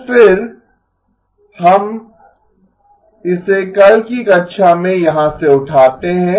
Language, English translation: Hindi, So again we pick it up from here in tomorrow's class